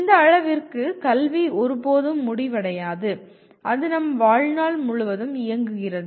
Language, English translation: Tamil, To this extent education never really ever ends and it runs throughout our lives